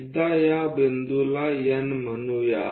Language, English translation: Marathi, So, call this point as N